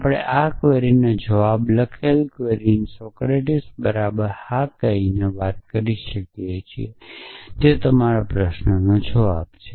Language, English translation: Gujarati, So, we can communicate the query written the answer to this query by saying yes y equal to Socrates is the answer to your question